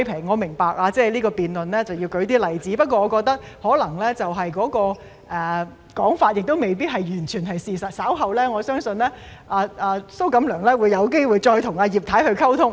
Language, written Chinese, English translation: Cantonese, 我明白為了辯論要舉出例子，不過我覺得那種說法可能未必完全是事實，我相信蘇局長稍後有機會再與葉太溝通。, I understand the need to cite examples for the sake of the debate but I do not find that narrative to be necessarily entirely true to the facts . I believe that Secretary SO will have an opportunity to exchange with Mrs IP again later